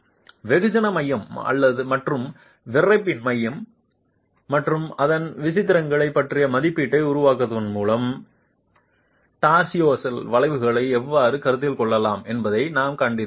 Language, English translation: Tamil, We have seen how torsional effects can be considered by making an estimate of the center of mass and central stiffness and the eccentricities thereof